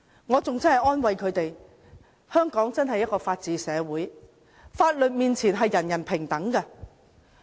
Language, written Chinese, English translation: Cantonese, 我安慰他們說，香港真是一個法治社會，法律面前，人人平等。, I comforted them by saying that Hong Kong is indeed a society upholding the rule of law where everyone is equal before the law